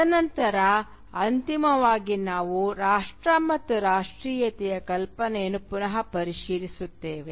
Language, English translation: Kannada, And then finally we will revisit the idea of nation and nationalism